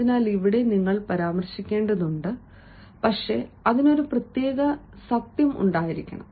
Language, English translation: Malayalam, so here you have to, and but that should have a spec of truth